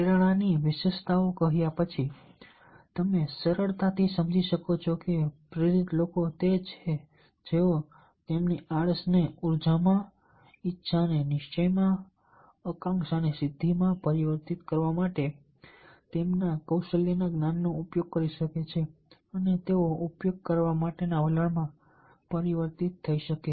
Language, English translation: Gujarati, having said about the characteristics of the motivation, you can easily understand that the motivated people are those, those who can transform their lethargy to energy, desire to determination, aspiration to achievement and non utilization of their skill, knowledge and attitudes to the utilization of the same